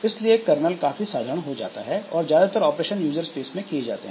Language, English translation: Hindi, So, kernel is made very simple and most of the operations that are moved to the user space